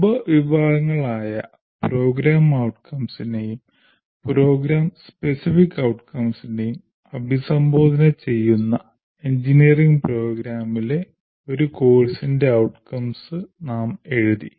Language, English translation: Malayalam, And we also wrote outcomes of a course in an engineering program that address a subset of a subset of program outcomes and program specific outcomes